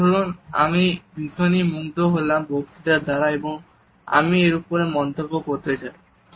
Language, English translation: Bengali, Now let us say I am very impressed by speech and I want to comment on it